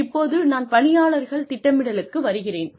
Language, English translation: Tamil, Now, I am coming to personnel planning